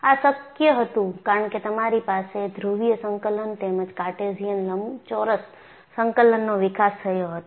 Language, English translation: Gujarati, This was possible because you had the development of polar coordinates, as well as Cartesian rectangular coordinates